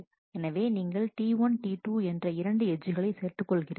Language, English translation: Tamil, So, you will add an edge T 1 T 2 so, this edge gets added